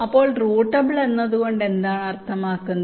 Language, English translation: Malayalam, so what is meant by routable